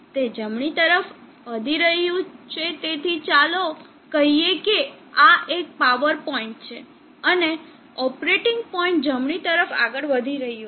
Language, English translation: Gujarati, It is moving to the right, so let us say this is the peak power point and the operating point is moving to the right